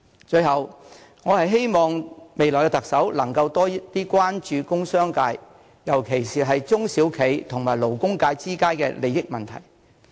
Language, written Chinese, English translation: Cantonese, 最後，我希望未來的特首能夠多關注工商界，尤其是中小企和勞工界之間的利益問題。, Finally I hope that the next Chief Executive can pay more attention to the industrial and commercial sector especially the conflicting interests of small and medium enterprises SMEs and the labour sector